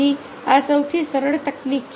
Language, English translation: Gujarati, so this is a simplest technique